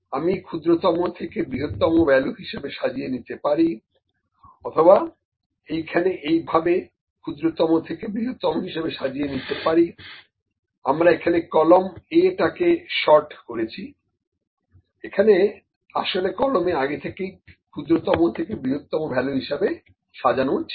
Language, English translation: Bengali, Sort from smallest to largest or I can sort I can sort it from here sort from smallest to largest, we just sort the column A which is always this is already sorted from smallest to largest